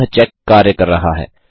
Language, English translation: Hindi, So that check works